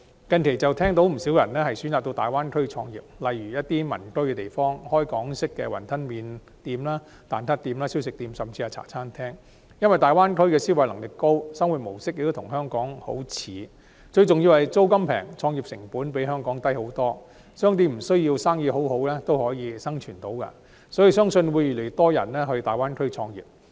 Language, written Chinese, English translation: Cantonese, 近期便聽到不少人選擇到大灣區創業，例如在民居附近開設港式雲吞麵店、蛋撻店、小食店，甚至茶餐廳，因為大灣區的消費能力高，生活模式亦與香港相近，最重要是租金便宜，創業成本比香港低得多，商店無須生意很好亦能生存，相信會有越來越多人到大灣區創業。, Recently I have heard that many people chose to start their own businesses in the Greater Bay Area such as opening Hong Kong style wonton noodle shops egg tart shops snack stalls and even Hong Kong style cafes near residential premises . In the Greater Bay Area owing to the high spending power a lifestyle closer to that of Hong Kong and most importantly lower rents the cost of start - ups is much lower than that in Hong Kong . Shops can survive even without a huge amount of business